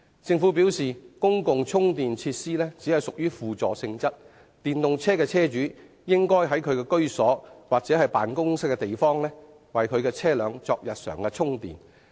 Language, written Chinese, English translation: Cantonese, 政府表示公共充電設施只屬於輔助性質，電動車的車主應在其居所或辦公地方為其車輛作日常充電。, The Government says that since public charging facilities are only meant as a kind of support EV owners should perform daily charging at home or in the workplace